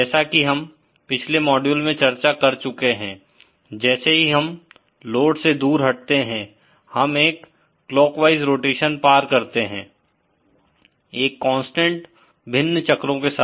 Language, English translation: Hindi, As we have discussed in the previous module that as we move away from the load, we traverse a clockwise rotation along a constant various circle